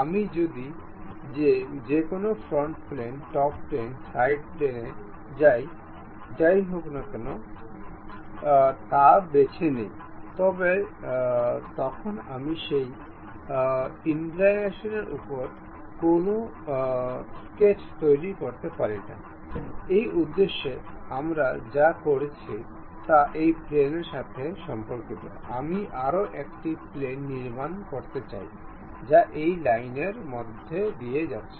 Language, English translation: Bengali, If I pick any front plane, top plane, side plane whatever this, I cannot really construct any sketch on that incline; for that purpose what we are doing is with respect to this plane, I would like to construct one more plane, which is passing through this line